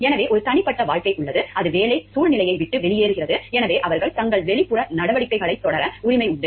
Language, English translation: Tamil, So, there is a private life which is off the job situation and so they have the right to pursue their outside activities